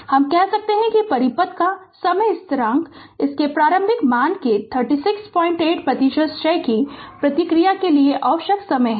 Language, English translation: Hindi, We can state that the time constant of the circuit is the time required for the response to decay 36